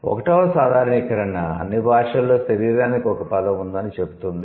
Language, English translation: Telugu, The first generalization is that all languages have a word for body, right